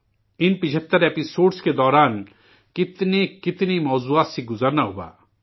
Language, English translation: Urdu, During these 75 episodes, one went through a multitude of subjects